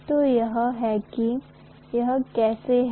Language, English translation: Hindi, So this is how it is